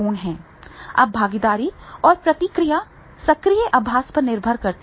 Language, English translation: Hindi, Now, the less participation and feedback depends on the active practice